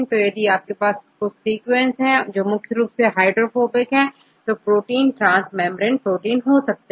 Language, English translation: Hindi, So, if you have some sequences which are predominantly hydrophobic then you can see that protein could be a transmembrane protein